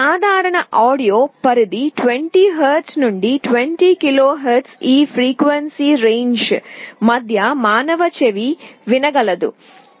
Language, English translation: Telugu, Now, you know that the typical audio range is 20 Hz to 20 KHz, human ear is able to hear between this frequency range